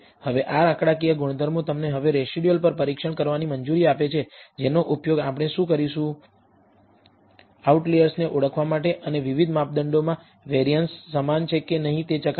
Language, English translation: Gujarati, Now the these statistical properties allow you to now perform test on the residuals, which will what we will use, to identify outliers and also test whether there is set the variances in the different measurements are identical or not